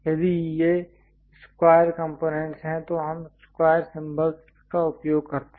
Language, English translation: Hindi, If these are square components we use symbol squares